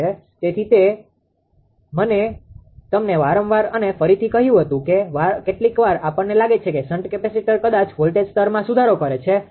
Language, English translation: Gujarati, And that is why I told you again and again that sometimes sometimes we ah feel that shunt capacitors perhaps it improves the voltage level; no